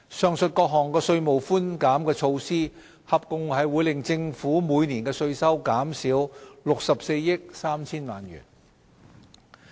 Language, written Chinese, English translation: Cantonese, 上述各項稅務寬減措施合共會令政府每年的稅收減少64億 3,000 萬元。, The above tax concession measures will together reduce tax revenue by 6.43 billion each year